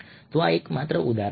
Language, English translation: Gujarati, so here are two examples